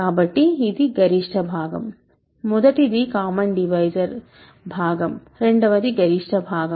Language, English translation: Telugu, So, this is the greatest part, first is the common divisor part second is the greatest part